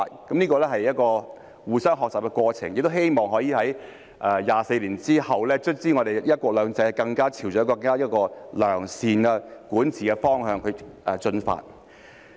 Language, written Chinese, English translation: Cantonese, 這是一個互相學習的過程，亦希望可以在24年之後，香港的"一國兩制"最終朝着一個更良善的管治方向進發。, This is a process of mutual learning and I hope that after 24 years have passed the one country two systems in Hong Kong can eventually move in the direction of better governance